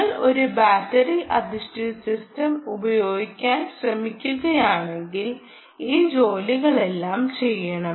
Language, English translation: Malayalam, if you are trying to use a battery based system also, you should do all these work